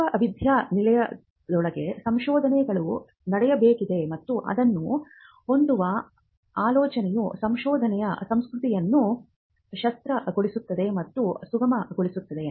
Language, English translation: Kannada, There has to be a research happening within the university and the idea of pushing IP is that it also enables and facilitates a culture of research